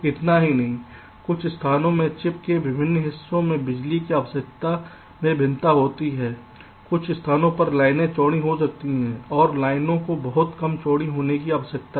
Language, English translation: Hindi, not only that, because of variations in power requirements in different parts of the chip, in some places the lines may be wider